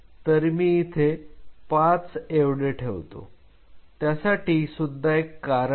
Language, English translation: Marathi, So, I put 5 there is a reason why I put 5